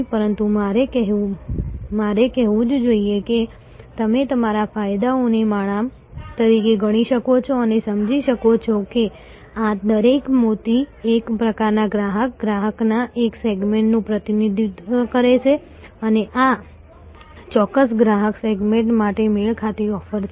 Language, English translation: Gujarati, But I must say that you can consider your benefits as a garland and understand, that each of these pearls represent one type of customer, one segment of customer and this is a matched offering to that particular customer segment